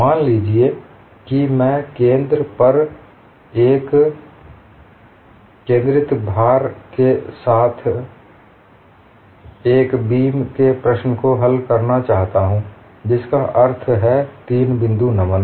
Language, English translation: Hindi, Suppose I want to solve the problem of a beam, with the concentrated load at the center, that means 3 point bending